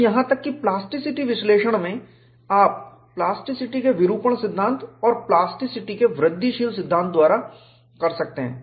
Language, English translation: Hindi, Even in plasticity analysis, you can do by deformation theory of plasticity and incremental theory of plasticity